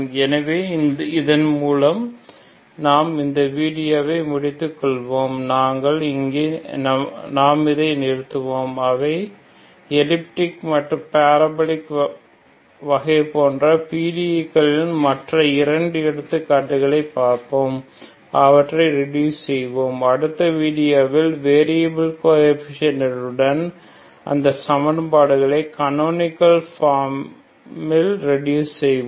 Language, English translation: Tamil, So with this we will close the video and we will stop here and we will look at other two examples of the partial differential equations those are elliptic and parabolic case we will reduce them, we will reduce those equations with variable coefficients into canonical form in the next video, thank you very much